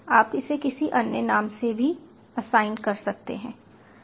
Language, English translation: Hindi, you can assign any other name to it